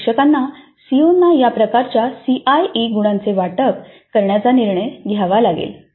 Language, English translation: Marathi, So the instructor has to decide on this kind of CIE marks allocation to COs